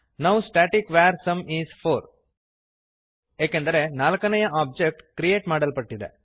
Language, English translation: Kannada, Now static var sum is 4 As the 4th object is created